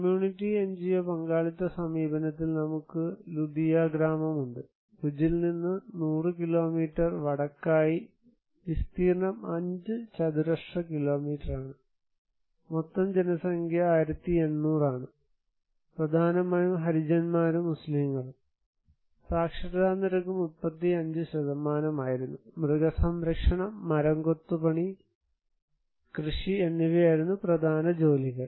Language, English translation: Malayalam, In community NGO partnership approach, we have Ludiya village, there is 100 kilometer north from Bhuj, area is around 5 square kilometer, total population is 1800 mainly by Harijans and Muslims population comprised by literacy rate was 35%, there also occupation was animal husbandry, wood carving and cultivations